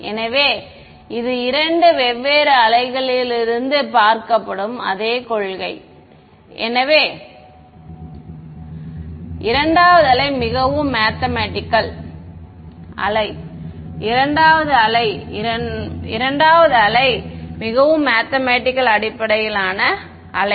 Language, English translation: Tamil, So, it is the same principle seen from two different waves; the first wave is the physics based wave the second wave is a more math based wave ok